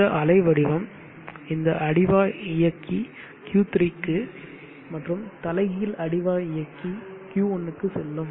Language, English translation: Tamil, This wave shape, this base drive will go for Q3 inverted base drive will go for Q1